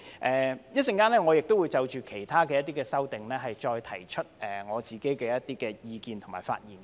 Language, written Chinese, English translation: Cantonese, 我稍後也會就其他的修正案再提出我的意見和發言。, I will express my views and speak on other amendments later